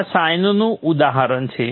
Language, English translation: Gujarati, This is an example of the sign